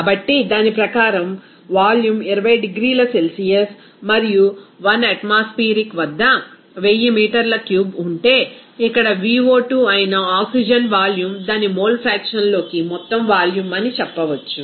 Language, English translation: Telugu, So, according to that, if there are the volume is 1000 meter cube at 20 degrees Celsius and 1 atmosphere, we can say that oxygen volume that is Vo2 here it would be simply total volume into its mole fraction